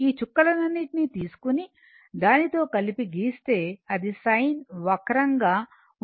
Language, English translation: Telugu, And if you take all these point and join it and plot it, it will be a sin curve, right